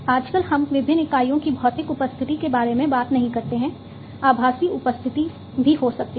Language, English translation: Hindi, So, nowadays we are not talking about physical presence of the different units, there could be virtual presence also